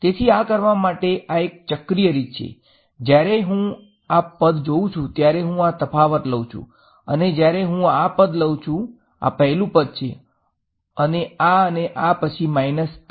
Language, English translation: Gujarati, So, this is a cyclic way of doing it when I am looking at this guy then I take this difference when I take this guy I, this is the first guy and this and then minus this